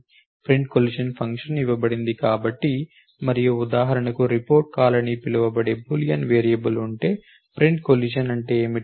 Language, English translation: Telugu, The print collision function is given and what is a print collision do if it the, if for example, there was the Boolean variable called report call